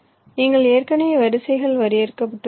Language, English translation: Tamil, you already have the rows defined